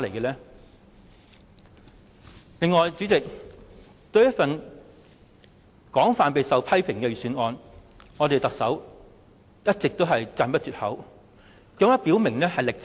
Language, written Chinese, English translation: Cantonese, 代理主席，對於一份備受批評的預算案，特首卻一直讚不絕口，甚至表明"力撐"。, Deputy Chairman this Budget is subject to severe criticisms yet the Chief Executive heaps praises on it and expresses her full support for the Budget